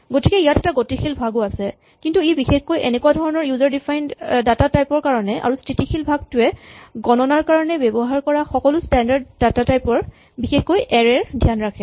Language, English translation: Assamese, So there is a dynamic part also, but it is exclusively for this kind of user defined data types and the static part takes care of all the standard data types that you use for counting and various standard things and particular arrays very often